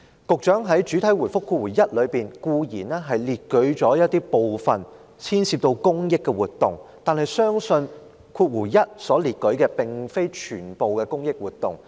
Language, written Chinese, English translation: Cantonese, 局長在主體答覆第一部分固然列舉出部分牽涉公益的活動，但相信主體答覆第一部分所列舉的，並非全部都是公益活動。, In part 1 of the main reply the Secretary cited a number of charitable activities but I believe not all activities listed in part 1 are charitable activities